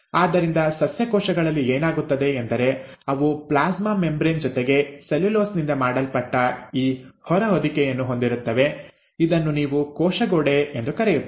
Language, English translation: Kannada, So in addition to a plasma membrane, what happens in plant cells is they have this outer covering made up of cellulose, which is what you call as the cell wall